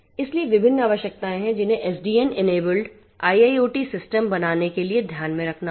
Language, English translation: Hindi, So, there are different requirements which will have to be taken into account to build SDN enabled IIoT systems